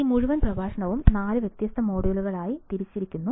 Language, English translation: Malayalam, And this whole entire lecture was divided into 4 different modules